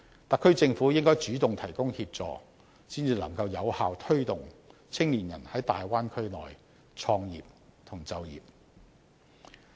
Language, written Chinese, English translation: Cantonese, 特區政府應該主動提供協助，才能夠有效推動青年人在大灣區創業及就業。, Thus the SAR Government should proactively provide assistance to effectively help young people work or start a business in the Bay Area